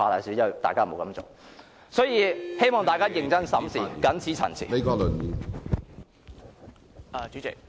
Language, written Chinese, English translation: Cantonese, 所以......希望大家認真審視，謹此陳辭。, Hence I hope Members will look into the matter seriously . I so submit